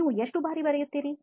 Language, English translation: Kannada, Just how frequently do you write